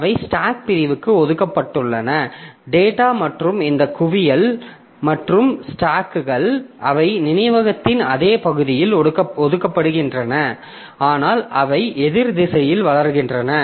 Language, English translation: Tamil, So, they are assigned to the stack segment and as I said that data and this heap and stack so they are allocated on the same portion of memory but they grow in the opposite direction